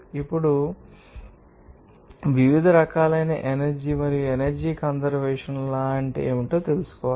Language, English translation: Telugu, Now, we have to know that the different forms of energy and also what are the energy conservation law